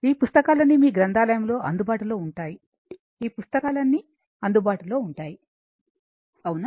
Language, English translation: Telugu, All these books are available right in your library also all these books will be available